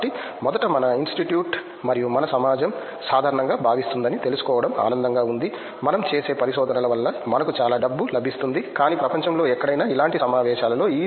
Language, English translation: Telugu, So, first of all it’s nice to know that our institute and our society in general feels that, the kind of research that we do can be funded to this extent that we get a lot of money, but in such conferences anywhere in the world